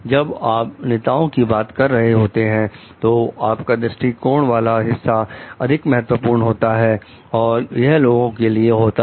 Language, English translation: Hindi, Like when you are talking of leader, it is more on the vision part, it is on the people orientation part